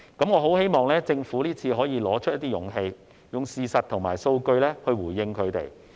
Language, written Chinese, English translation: Cantonese, 我很希望政府這次可以拿出勇氣，用事實和數據回應他們。, I hope the Government can show some courage this time and respond to them with facts and figures